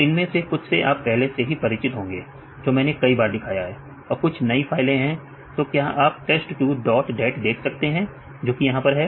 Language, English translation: Hindi, So, some of them are familiar to you already I showed several times as some of the new files, can you see this test two dot dat what is this